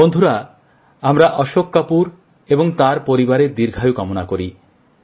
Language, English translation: Bengali, Friends, we pray for the long life of Ashok ji and his entire family